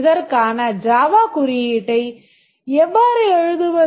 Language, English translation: Tamil, How do we write the Java code for this